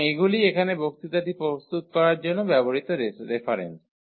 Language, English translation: Bengali, So, these are the reference here used for preparing the lectures